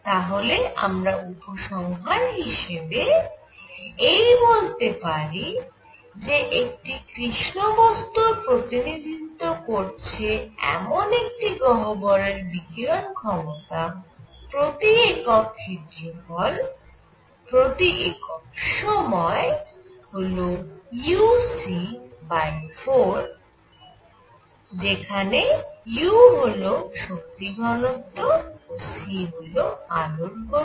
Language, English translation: Bengali, So, what we conclude is for a black body represented by a cavity emissive power over area per unit time is u c by 4; where u is the energy density and c is the speed of light